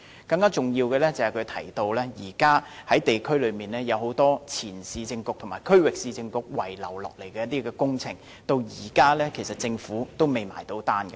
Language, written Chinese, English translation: Cantonese, 更重要的是，他提到現時在地區上有很多前市政局和區域市政局遺留下來的工程，至今政府其實仍未結帳。, More importantly he has mentioned that there are currently many projects left behind by the former Urban Council and Regional Council in the districts which are yet to be realized by the Government